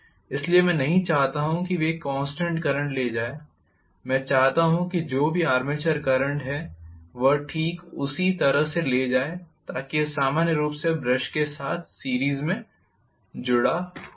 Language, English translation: Hindi, So, I do not want them to carry a constant current, I want them to carry whatever is the armature current exactly so it will be connected in series with the brushes normally